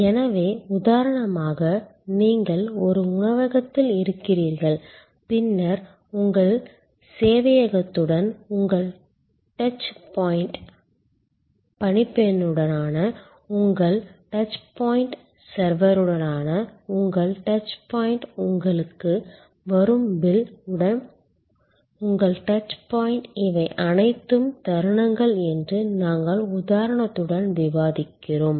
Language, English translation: Tamil, So, we discuss with example that for example, you are in a restaurant then your touch point with server, your touch point with the steward, your touch with the server, your touch point with the bill that comes to you, these are all moments of truth, the moments of truth are also points of failure